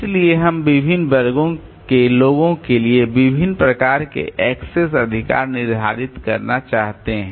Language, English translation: Hindi, So, we may want to set different type of access rights for different classes of people